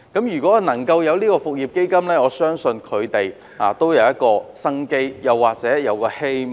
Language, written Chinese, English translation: Cantonese, 如果有復業基金，我相信他們便會有一線生機、一線希望。, If a business resumption fund is provided I believe they will have a ray of hope to survive